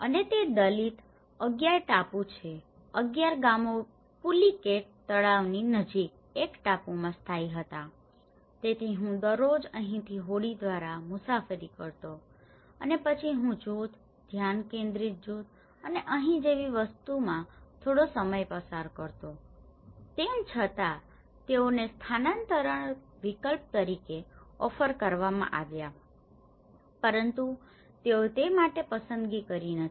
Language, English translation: Gujarati, And it was Dalit 11 island 11 villages were settled in an island near the pullicat lake so I used to travel every day by boat from here to here and then I used to spend some time in a group, focus groups and things like that here, even though they were offered as a relocation option but they didnÃt opted for that